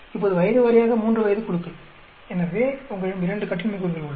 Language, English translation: Tamil, Now, age wise three age groups; so, you have 2 degrees of freedom